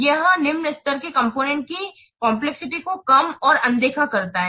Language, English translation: Hindi, It tends to underestimate and overlook the complexity of the low components